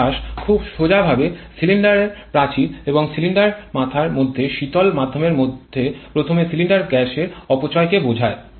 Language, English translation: Bengali, Heat loss very straightforwardly first refers to the loss of cylinder gases through the cylinder wall and cylinder head into the cooling medium